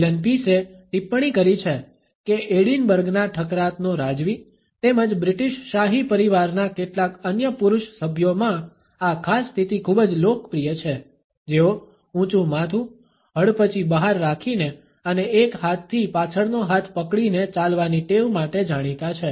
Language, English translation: Gujarati, Allen Pease has commented that this particular position is very popular with the duke of Edinburgh as well as certain other male members of the British royal family who are noted for their habit of walking with their head up chin out and one hand holding the other hand behind the back